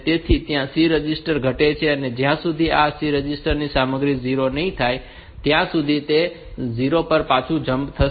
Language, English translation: Gujarati, So, this there C registers is decremented and as long as this C register content is not 0 will go back to this jump on not 0 back